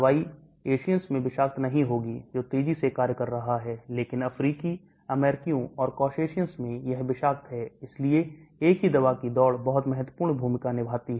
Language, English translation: Hindi, Drug will not be toxic in Asian that is fast acting, but toxic in African Americans and Caucasians, so same drug, race plays a very important role